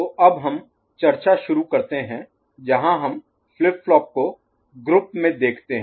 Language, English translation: Hindi, So, now we start discussion where we look at flip flops as a group ok